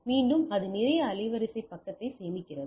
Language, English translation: Tamil, And again it save a lot of bandwidth side